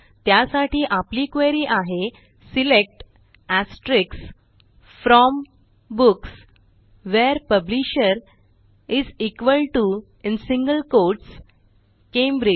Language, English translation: Marathi, And so, our query is, SELECT * FROM Books WHERE Publisher = Cambridge